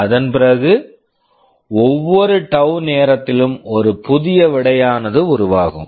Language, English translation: Tamil, After that every tau time there will be one new result being generated